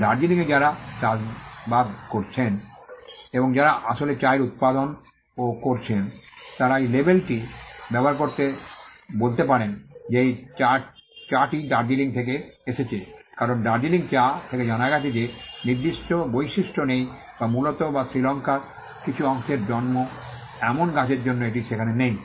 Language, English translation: Bengali, The people who are having plantations in Darjeeling and who are actually in the manufacturing and production of the tea they can use that label to say that this tea is from Darjeeling, because the Darjeeling tea it has been found out that has certain properties which is not there for tree that is grown in core or in some part of Sri Lanka it is not there